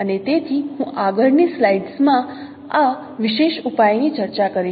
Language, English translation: Gujarati, So I will discuss this particular solution in the next slide